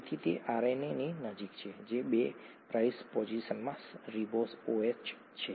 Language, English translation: Gujarati, So this is somewhat closer to RNA, the ribose OH in the 2 prime position